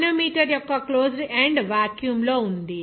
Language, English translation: Telugu, The closed end of the manometer is in a vacuum